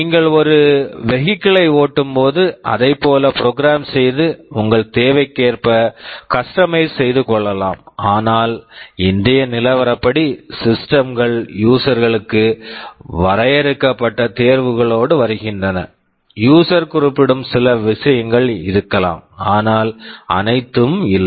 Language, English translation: Tamil, Like when you drive a vehicle you may program it and customize it according to your need, but as of today the systems come with very limited choice to the users; may be a few things user can specify, but not all